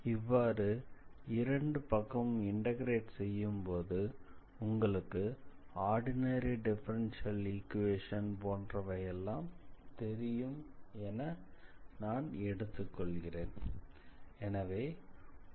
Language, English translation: Tamil, So, I integrated both sides of these equations and when you integrate, I am assuming you are familiar with that ordinary differential equations